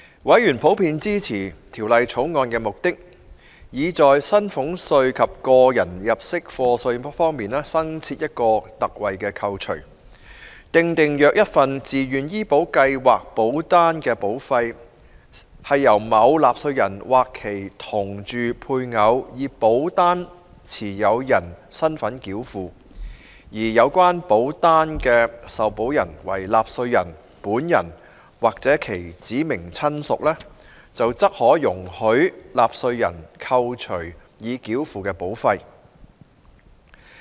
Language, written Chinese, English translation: Cantonese, 委員普遍支持《2018年稅務條例草案》的目的，以在薪俸稅及個人入息課稅新設一項特惠扣除，訂定若一份自願醫保計劃保單的保費，是由某納稅人或其同住配偶以保單持有人身份繳付，而有關保單的受保人為納稅人本人或其指明親屬，則可容許納稅人扣除已繳付的保費。, Members generally support the purpose of the Inland Revenue Amendment No . 4 Bill 2018 the Bill to introduce a new concessionary deduction concerning salaries tax and tax under personal assessment . The Bill provides that if premiums for a Voluntary Health Insurance Scheme VHIS policy were paid by the taxpayer or the taxpayers spouse as the holder of the policy and the policy holder is the taxpayer himself or herself or a specified relative of the taxpayer then a deduction of the premiums paid is allowable to the taxpayer